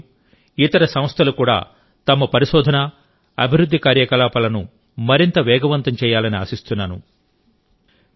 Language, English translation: Telugu, I also hope that taking inspiration from IITs, other institutions will also step up their R&D activities